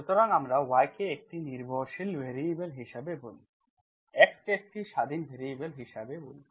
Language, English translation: Bengali, So we call y as dependent variable, x as independent variables